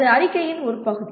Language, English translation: Tamil, That is one part of the statement